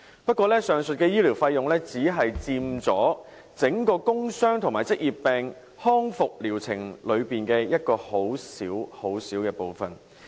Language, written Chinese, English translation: Cantonese, 不過，上述的醫療費用只佔整個工傷及職業病康復療程裏的一個很小很小部分。, However such medical expenses merely account for a tiny portion in the whole process of recovery treatment for work injuries and occupational diseases